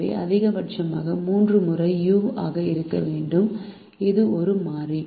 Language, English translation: Tamil, so let us called the maximum of the three times to be u, which is a variable